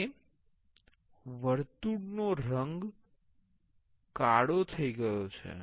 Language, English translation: Gujarati, Now, the color of the circle has changed to black